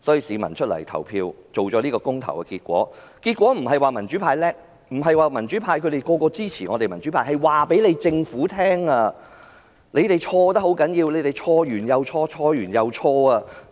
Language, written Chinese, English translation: Cantonese, 市民投票得出這個公投結果，不是因為民主派厲害，不是他們均支持民主派，而是想告訴政府它錯得很嚴重，一再犯錯，錯了又錯。, People cast their votes to produce such referendum results not because the pro - democracy camp was capable and they supported the pro - democracy camp but because they wanted to tell the Government that it has been terribly wrong and making mistakes over and again